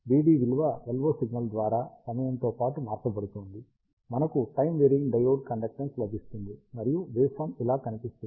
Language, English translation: Telugu, And since, V D is being changed in time by the LO signal, we get a time varying diode conductance, and the waveform looks like this